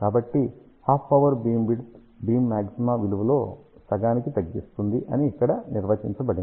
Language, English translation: Telugu, So, half power beamwidth is defined where beam maxima reduces to half of its value